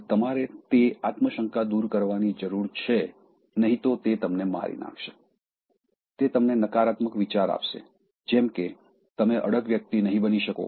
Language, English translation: Gujarati, Now, you need to remove that, so, that self doubt will otherwise kill you, it will keep on giving you negative thinking that, you cannot become an assertive person, remove those self doubts